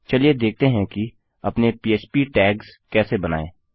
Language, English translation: Hindi, Let us see how to create our php tags